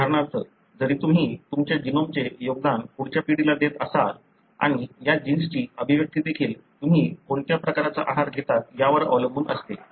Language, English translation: Marathi, For example, although you would be contributing your genome to the next generation and the expression of these genes also depends on what kind of diet you take